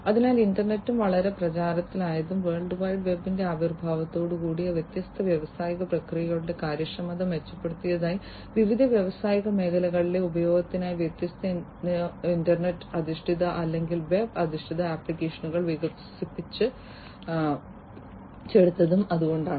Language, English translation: Malayalam, So, that is why the internet also became very popular and also with the emergence of the World Wide Web, different, you know, internet based or web based applications have been developed for use in the different industrial sectors to improve the efficiency of the different industrial processes